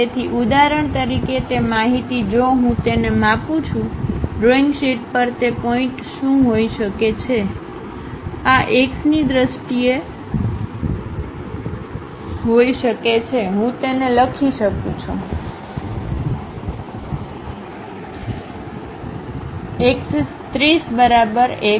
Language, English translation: Gujarati, So, for example, that x information if I am measuring it; what might be that point on the drawing sheet, this x can be in terms of, I can write it A cos 30 is equal to x